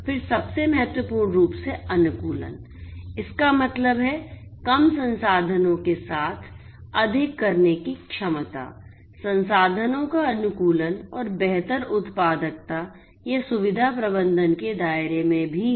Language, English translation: Hindi, Then most importantly optimize; that means, ability to do more with less resources, optimization of resources and improved productivity this is also within the purview of facility management